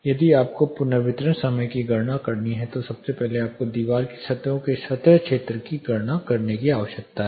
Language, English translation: Hindi, The wall if you have to compute reverberation time the first thing you need to do is compute the surface area of wall surfaces